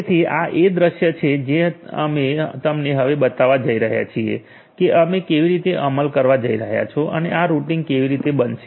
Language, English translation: Gujarati, So, this is this scenario that we are going to show you now, how you are going to implement and how this routing is going to happen